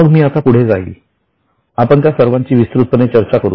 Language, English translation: Marathi, Then I will go ahead, we are going to discuss each of them in detail